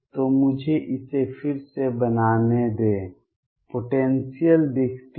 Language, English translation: Hindi, So, let me make it again, the potential looks like